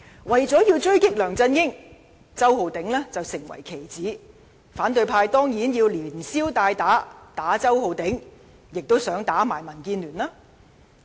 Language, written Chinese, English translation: Cantonese, 為了狙擊梁振英，周浩鼎議員成了棋子，反對派當然想連消帶打，打擊周浩鼎議員之餘，亦想打擊民建聯。, Mr Holden CHOW has become a pawn in their struggle against Mr LEUNG Chun - ying . Surely the opposition camp also wants to kill two birds with one stone by discrediting DAB through their attack on Mr CHOW